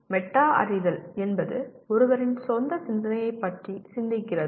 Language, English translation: Tamil, Metacognition is thinking about one’s own thinking